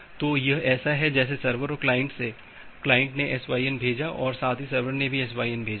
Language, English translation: Hindi, So, it is just like that from the server and client, the client has send a SYN and at the same time the server has also sent a SYN